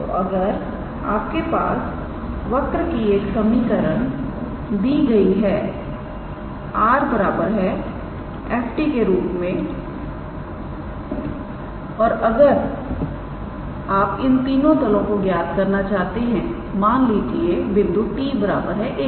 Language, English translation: Hindi, So, if you are given a equation of a curve in terms of r is equals to f t and if you are supposed to calculate any one of these planes, let us say at a point t is equals to a